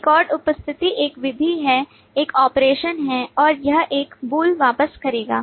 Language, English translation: Hindi, Record attendance is a method, is an operation and it will return a bool